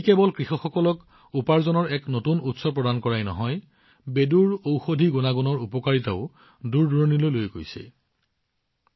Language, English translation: Assamese, Due to this, farmers have not only found a new source of income, but the benefits of the medicinal properties of Bedu have started reaching far and wide as well